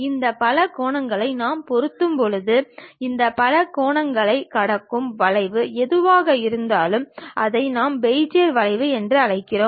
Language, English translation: Tamil, And when we are fitting these polygons, whatever the curve which pass through that crossing these polygons that is what we call Bezier curves